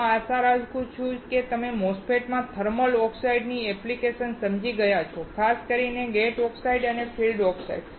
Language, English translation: Gujarati, I hope that you understood the application of the thermal oxide in a MOSFET; particularly gate oxides and field oxides